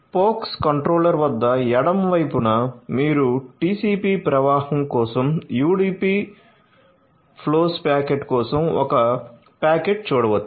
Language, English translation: Telugu, So, you can in the left hand side at the pox controller you can see a packet in for UDP flows packet in for TCP flow